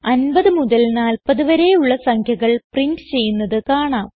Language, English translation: Malayalam, As we can see, the numbers from 50 to 40 are printed